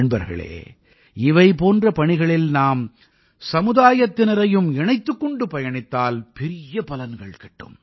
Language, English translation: Tamil, Friends, in Endeavour's of thesekinds, if we involve the society,great results accrue